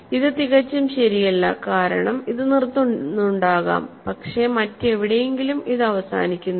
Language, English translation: Malayalam, So, this is not quite correct because it maybe that this stops, but somewhere else it does not stop